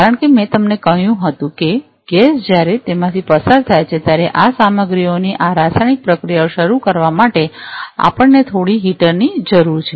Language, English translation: Gujarati, Because I told you that we need to have some heater in order to start this chemical processes of this materials when the gas is pass through them